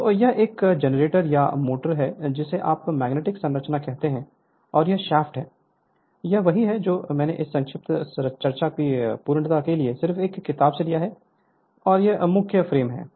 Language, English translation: Hindi, So, this is generator, or motor where your what you call magnetic structure and this is the shaft, this is I have taken from a book just for the sake of your to completeness of this brief discussion right and this is the main frame